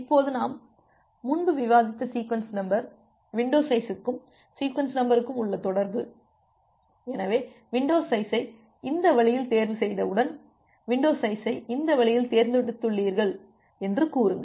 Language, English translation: Tamil, Now just relating it with the sequence number that we have discussed earlier, the relation between the window size and the sequence number, so, once you choose the window size in this way, say you have chosen the window size w in this way